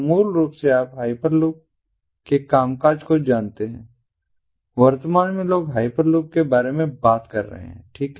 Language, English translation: Hindi, so basically the you know, functioning of the hyper loops at present people are talking about hyper loops, right